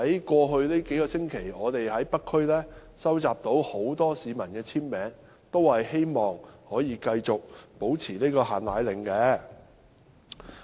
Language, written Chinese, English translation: Cantonese, 過去數星期，我們在北區收集了很多市民的簽名，他們都希望繼續維持"限奶令"。, Over the past few weeks we have collected many signatures from members of the public in the North District . They all hope that the export control of powdered formulae will be maintained